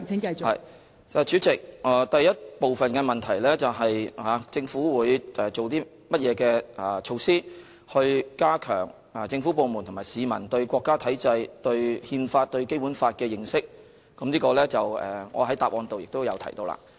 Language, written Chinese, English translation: Cantonese, 代理主席，第一部分的問題是，政府會以甚麼措施加強政府部門和市民對國家體制、對憲法和對《基本法》的認識，就此我在主體答覆中已有回答。, Deputy President part 1 of the question is about what measures the Government will adopt to enhance the understanding of the national system the Constitution and the Basic Law among various government departments and members of the public and I have already provided an answer to this question in the main reply